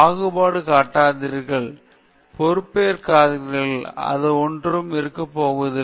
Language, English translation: Tamil, Do not discriminate, be responsible, and take responsibility; one has to be this